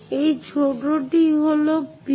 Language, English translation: Bengali, So, this one small one is P